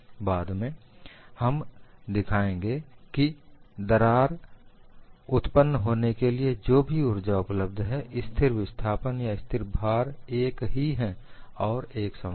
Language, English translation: Hindi, Later on, we will show whatever the energy available for crack formation, in constant displacement or constant loading is one and the same